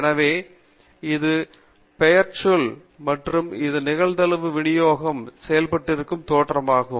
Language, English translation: Tamil, So this is the nomenclature and this is the genesis for the probability distribution functions